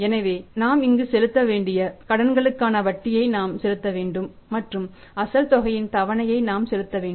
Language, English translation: Tamil, So, what we have to pay here we have to pay the interest on the loan and we have to pay the instalment of the pay instalment of the principal amount